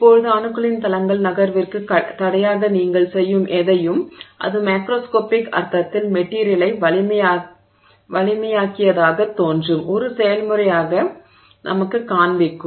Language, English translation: Tamil, So, now anything that you do which hinders the movement of planes of atoms makes it appear, makes it show up to us in the macroscopic sense as a process that has made the material stronger